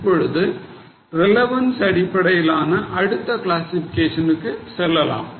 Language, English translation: Tamil, But right now we will go to the next classification that is as per the relevance